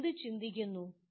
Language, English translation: Malayalam, What do you think